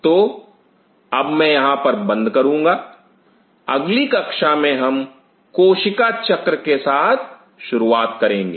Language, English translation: Hindi, So, I will close in here in the next class we will start off with the cell cycle